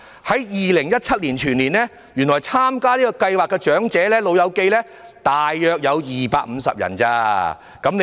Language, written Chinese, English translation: Cantonese, 在2017年，原來參加這項計劃的長者全年只有約250人而已。, In 2017 there were actually just 250 elderly persons enrolled in the programme in the entire year